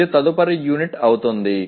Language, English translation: Telugu, That will be the next unit